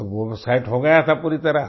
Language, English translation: Hindi, So it got set completely